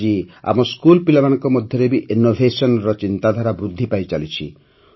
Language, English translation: Odia, Today the spirit of innovation is being promoted among our school children as well